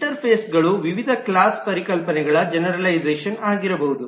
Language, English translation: Kannada, Interfaces could be generalizations of various different class concepts and so on